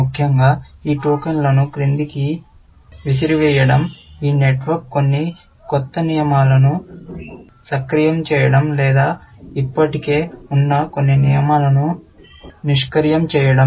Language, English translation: Telugu, Essentially, the effect of throwing these tokens down, this network is to either, activate some new rules or to deactivate some existing rules, essentially